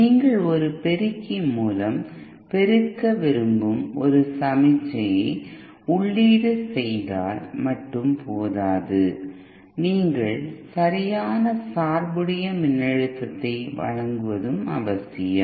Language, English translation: Tamil, It is not just enough that you input a signal that you want to be amplified through an amplifier it is also necessary that you provide the proper biased voltage